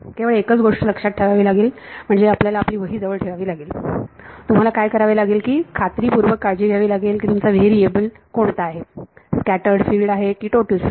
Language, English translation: Marathi, Only thing book keeping you have to do that at the edge make sure that you are taking care of what is your variable is it scattered field or total field